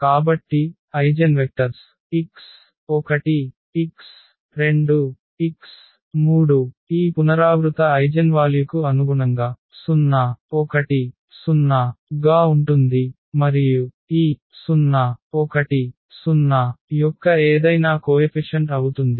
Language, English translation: Telugu, So, the eigenvectors x 1, x, 2, x 3 in this case corresponding to this repeated eigenvalue is coming to be 0 1 0 and any multiple of this 0 1 0